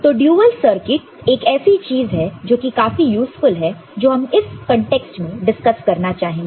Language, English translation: Hindi, So, a dual circuit is something which is useful that we would like to discuss in this context